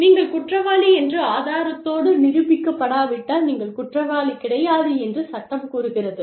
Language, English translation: Tamil, And, the law follows that, you are not guilty, unless you are proven otherwise